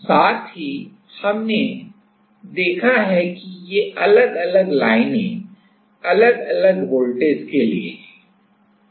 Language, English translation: Hindi, Also we have seen that this different also we have seen that these different lines are for different voltages right